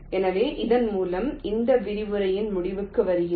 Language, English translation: Tamil, so with this we come to the end of this lecture, thank you